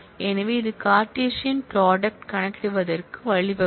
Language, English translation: Tamil, So, here is an example of the Cartesian product that we talked of